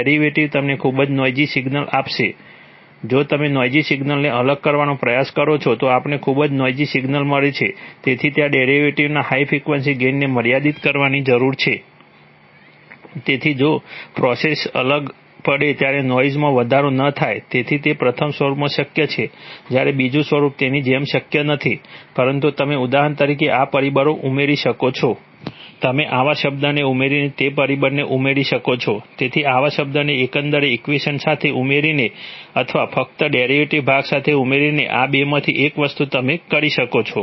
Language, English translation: Gujarati, If you try to differentiate noisy signals, we get very noisy signals, so there is a, there is a need to restrict the high frequency gain of the derivative, so that noise is not amplified while the process signal gets differentiated, so that is possible in the first form while the second form it is, it is, as such not possible but you could add such factors for example, You could add that factor by adding such a term, so by adding such a term with the overall equation or by adding that only with the derivative part, one of these two things you can do